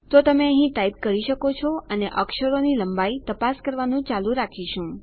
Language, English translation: Gujarati, So, you can type here and we can keep checking your character length